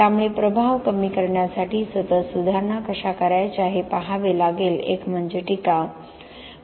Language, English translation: Marathi, So, we have to look at how to continuously make improvements to decrease the impact, one is sustainability